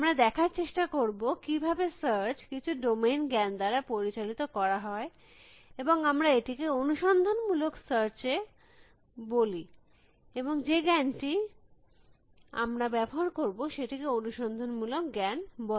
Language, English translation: Bengali, We will try to see, how search can be guided by some kind of domain knowledge and we call this heuristic search, and the knowledge that we will use is called heuristic knowledge